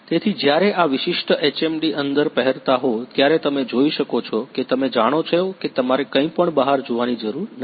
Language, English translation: Gujarati, So, while wearing this particular HMD inside you can see that you know you do not have to see outside anything